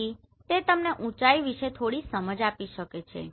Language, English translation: Gujarati, So this can give you some perception about the height